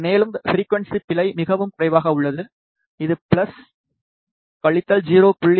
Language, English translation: Tamil, And, frequency error is quite low which is plus minus 0